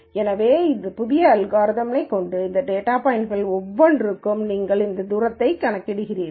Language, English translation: Tamil, So, for each of these data points with these new means you calculate these distances